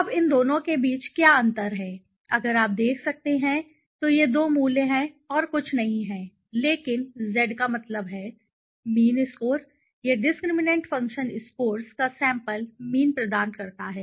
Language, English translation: Hindi, Now, what and the difference between these two if you can see, these two values is nothing but the Z mean, the mean score right, it provides the sample mean of the discriminant function scores right